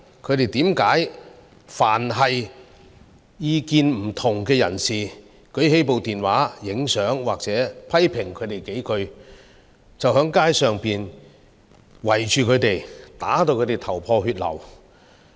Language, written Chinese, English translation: Cantonese, 他們為何凡當意見不同的人士舉起手機拍照，甚或批評他們幾句，便在街上圍着他們，把他們打至頭破血流？, Then why do they have to gang up on and badly injure people of dissenting opinions who only try to take a picture with their mobile phones or say a few words of criticism against the protesters?